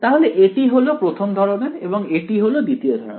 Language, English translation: Bengali, So, this guy is the first kind and this guy is the second kind over here ok